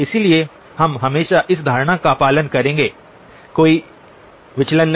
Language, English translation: Hindi, So we will always follow this notation, no deviations